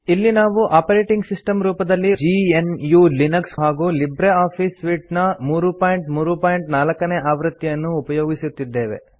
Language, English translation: Kannada, Here we are using GNU/Linux as our operating system and LibreOffice Suite version 3.3.4